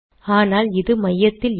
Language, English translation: Tamil, This is not centered